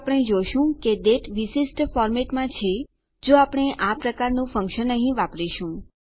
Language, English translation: Gujarati, We can see that the date is in a specific format, if we use this kind of function here